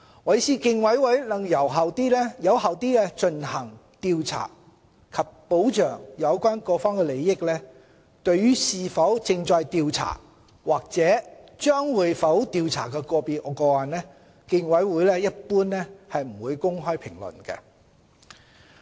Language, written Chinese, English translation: Cantonese, 為使競委會能有效地進行調查及保障有關各方的利益，競委會對於是否正在調查或會否調查個別個案，一般不會公開評論。, For effective investigations and to protect the interests of all persons involved the Commission will generally not comment on whether a case is being or will be investigated